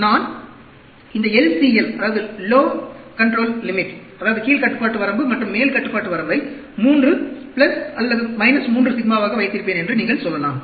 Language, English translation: Tamil, You can say, I will have this l c l, lower control limit, upper control limit as 3, plus or minus 3 sigma